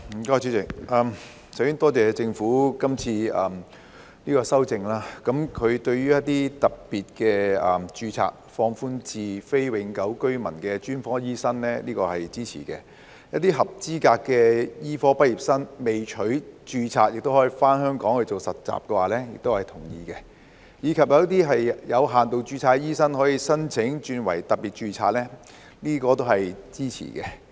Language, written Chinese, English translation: Cantonese, 代理主席，首先多謝政府今次的修正案，當局將一些特別註冊放寬至非永久性居民的專科醫生，這我是支持的；一些合資格的醫科畢業生未取註冊亦可以回港實習，這我是同意的；以及有些有限度註冊醫生可以申請轉為特別註冊，這我也是支持的。, Deputy Chairman first of all I would like to thank the Government for this amendment exercise . I support the relaxation of special registration to include specialist doctors who are non - Hong Kong permanent residents; I agree that qualified medical graduates who have yet to obtain registration may undergo internship in Hong Kong; and I also support that limited registration doctors may apply for migrating to the special registration route